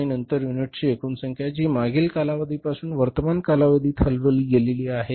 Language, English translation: Marathi, And then the total number of units which are shifted from the previous period to the current period